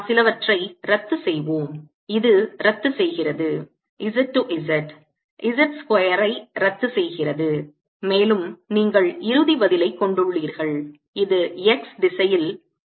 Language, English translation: Tamil, this cancel z, z cancels z square, and you left with final answer which is mu, not k over two, in the x direction